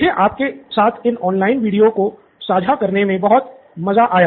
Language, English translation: Hindi, I had a lot of fun putting these videos together for you